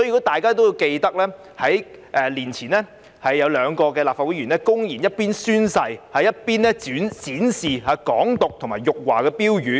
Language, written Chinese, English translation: Cantonese, 大家也記得，在數年前有兩位立法會議員公然一邊宣誓，一邊展示"港獨"及辱華標語。, As Members may recall a few years ago two Legislative Council Members blatantly displayed placards with slogans advocating Hong Kong independence and insulting China while taking the oath